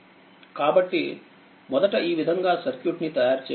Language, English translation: Telugu, So, this way first we have to make the circuit